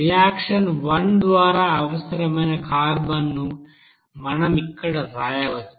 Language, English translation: Telugu, So we can write here carbon required by reaction one